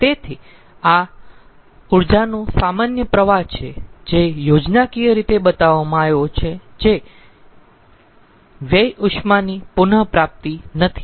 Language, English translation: Gujarati, so this is the normal flow of energy, schematically shown, where there is no waste heat recovery